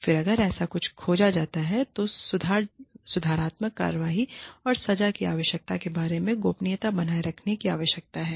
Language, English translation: Hindi, Then, if something like this is discovered, one needs to maintain confidentiality, regarding the need for, corrective action and punishment